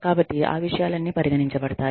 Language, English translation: Telugu, So, all of those things, considered